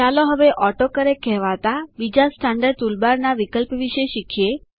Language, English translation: Gujarati, Let us now learn about another standard tool bar option called AutoCorrect